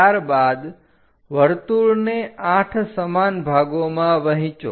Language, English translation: Gujarati, After that, divide the circle into 8 equal parts